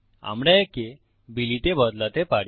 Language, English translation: Bengali, We can change this to Billy